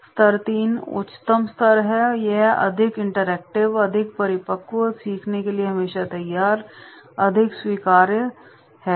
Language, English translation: Hindi, Level III is the highest level, it is more interactive, more mature, more ready to learn, more acceptable and all this